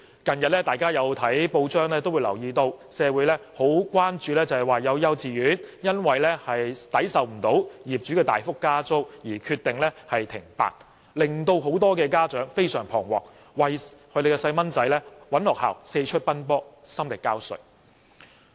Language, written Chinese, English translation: Cantonese, 大家近日從報章得悉，社會十分關注有幼稚園因承受不了業主大幅加租而決定停辦，致令很多家長非常彷徨，並為子女另覓學校而四出奔波，心力交瘁。, We have recently learnt from the press that a kindergarten has decided to close down as it cannot afford the hefty rental increase . Many anxious parents thus have to go around finding another kindergarten for their children suffering from great physical and mental stress